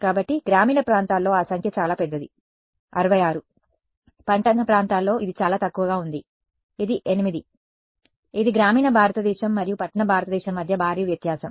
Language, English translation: Telugu, So, that number in rural areas is very large, 66, in urban areas it is much less it is 8 right, it is a huge difference between rural India and urban India and